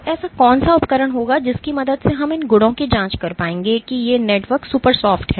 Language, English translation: Hindi, So, what would be an equipment with which we might be able to probe these properties note that these networks are super soft